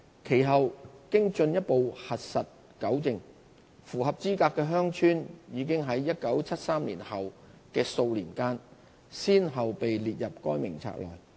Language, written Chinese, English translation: Cantonese, 其後經進一步核實糾正，符合資格的鄉村已在1973年後數年間先後被列入該名冊內。, Upon further subsequent verification and rectification eligible villages were added to the List of Recognized Villages in the early years after 1973